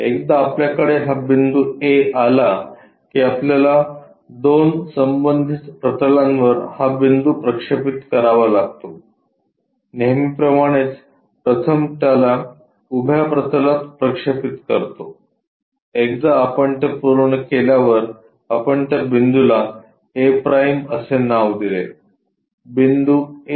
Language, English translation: Marathi, Once we have this point A, we have to project this point on 2 corresponding planes always we project it on to vertical plane first once it is done we name it a’, A point to a’